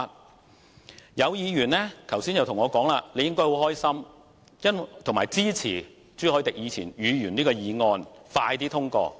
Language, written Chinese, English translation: Cantonese, 剛才也有議員跟我說我應感到很高興，並支持朱凱廸議員的議案快些獲通過。, Some Members also said to me just now that I should be very pleased and support the speedy passage of Mr CHU Hoi - dicks motion